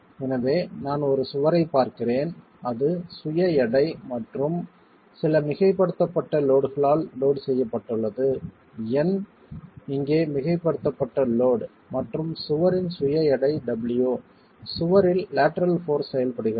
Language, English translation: Tamil, So, I'm looking at a wall which is loaded with the self weight and some superimposed load, N being the superimposed load here and the self weight of the wall, W